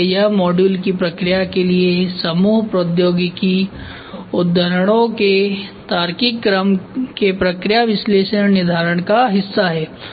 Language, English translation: Hindi, So, that is part of process analysis determination of logical order of group technology quotes for the process of module